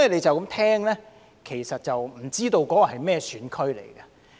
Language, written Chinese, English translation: Cantonese, 就這樣聽來，其實不知道那些是甚麼選區。, Just by hearing these we actually have no idea what those GCs are